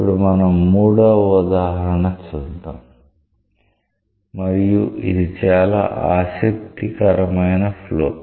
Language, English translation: Telugu, Now, let us look into a third example where we see a flow, this is a very interesting case